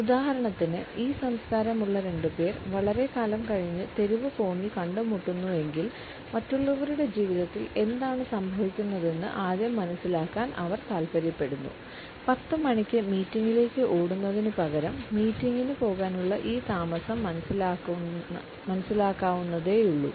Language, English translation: Malayalam, For example if two people who belong to this cultured meet on the street corner after a long time, they would prefer to catch on what is going on in others life first rather than rushing to a 10 o clock meeting, a slight delay is understandable